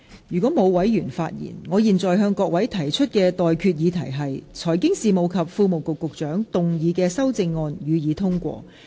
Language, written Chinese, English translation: Cantonese, 如果沒有，我現在向各位提出的待決議題是：財經事務及庫務局局長動議的修正案，予以通過。, If no I now put the question to you and that is That the amendments moved by the Secretary for Financial Services and the Treasury be passed